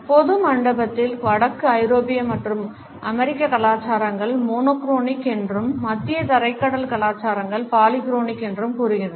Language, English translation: Tamil, In general Hall suggest that northern European and American cultures are monochronic and mediterranean cultures are polychronic